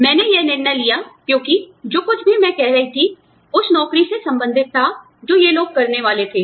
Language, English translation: Hindi, I took this decision, because, whatever, i was saying, was related to the job, that these people were supposed, to do